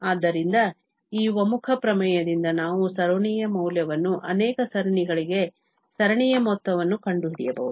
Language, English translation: Kannada, So, by this convergence theorem, we can find the value of series, the sum of the series for many series